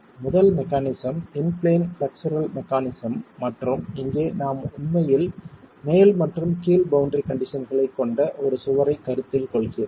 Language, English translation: Tamil, So let's examine the first criterion, the first mechanism, the in plane flexual mechanism and here we are really considering a wall that has boundary conditions at the top and the bottom